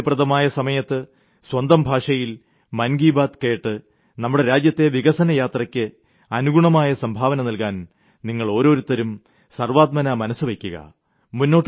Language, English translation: Malayalam, By listening to Mann Ki Baat, at the time of your convenience, in the language of your choice, you too can make up your mind and resolve to contribute to the journey of the nation's progress